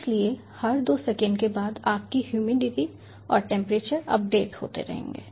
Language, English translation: Hindi, so after every two seconds your humidity and temperature will keep on updating